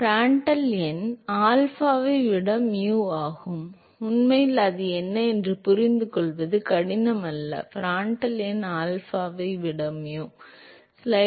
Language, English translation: Tamil, Yes Prandtl number is nu over alpha, it is actually not very difficult to understand why thats the case, Prandtrl number is mu over alpha